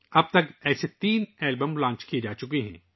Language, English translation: Urdu, So far, three such albums have been launched